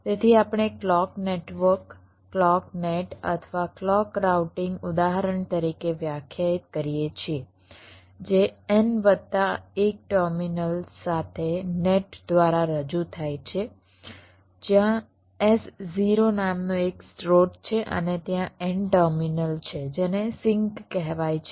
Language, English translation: Gujarati, so we define a clock network, a clock net or a clock routing ins[tance] instance as represented by a net with n plus one terminals, where there is one source called s zero and there are n terminals, s called sinks